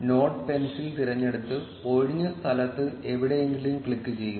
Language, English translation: Malayalam, Select the node pencil and click somewhere in the empty space